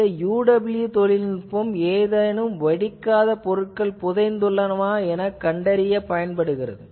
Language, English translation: Tamil, So, UWB technology can be utilized for seeing whether there is any buried unexploded ordinance